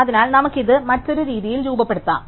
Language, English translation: Malayalam, So, we can formulate this in another way